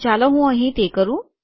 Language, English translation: Gujarati, So let me do that here